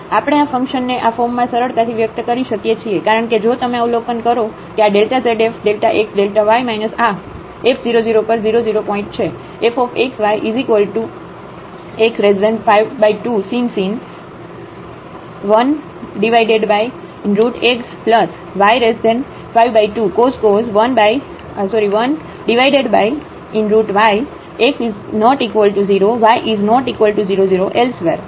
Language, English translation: Gujarati, We can easily express this function into this form because if you observe that this delta z is f delta x delta y minus this f 0 0 at 0 0 point